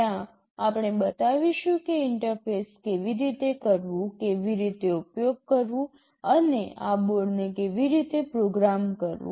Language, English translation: Gujarati, There we shall show how to interface, how to use, and how to program this board